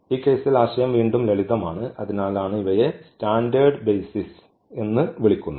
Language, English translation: Malayalam, The idea is again simple in this case and that is for these are called the standard basis